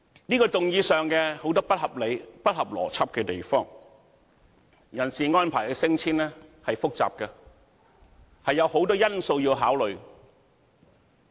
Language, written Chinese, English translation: Cantonese, 這項議案有很多不合理及不合邏輯的地方，人事安排的升遷是複雜的，有很多因素要考慮。, There are unreasonable and illogical arguments as far as this motion is concerned because personnel promotion and transfer involves very complicate issues and a lot of things should be taken into consideration